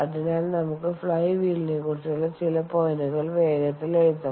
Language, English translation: Malayalam, ok, so let us quickly write down some points on flywheel